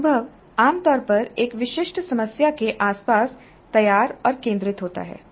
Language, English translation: Hindi, So the experience is usually framed and centered around a specific problem